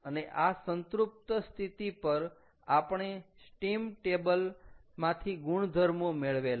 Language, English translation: Gujarati, ok, and these are those saturated conditions will get the properties from steam tables